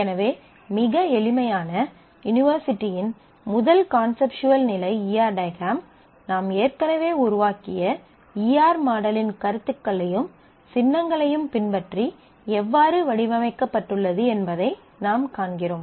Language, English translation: Tamil, So, this is how we can see that how the E R diagram that the first conceptual level diagram of a very simple university enterprise is being designed following the notions and symbols of E R model that we have already developed